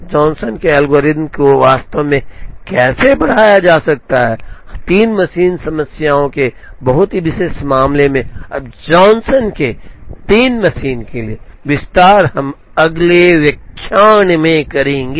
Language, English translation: Hindi, How, Johnson’s algorithm can actually be extended, to a very special case of the 3 machine problems, now Johnson’s extension to the three machine, we will see in the next lecture